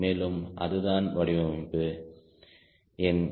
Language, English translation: Tamil, so that is where you have to do designing